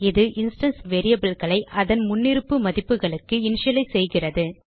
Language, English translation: Tamil, It initializes the instance variables to their default value